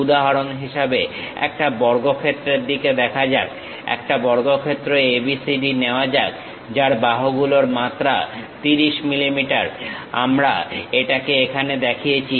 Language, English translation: Bengali, For example, let us look at a square, consider a square ABCD, having a dimension 30 mm side, we have shown it here